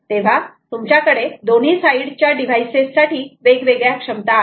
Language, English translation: Marathi, so you have different capabilities for the on both sides of the device